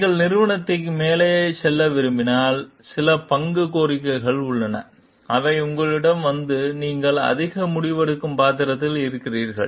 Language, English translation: Tamil, And if you like move up the organization, there are certain role demands which comes to you and you get into more decision making roles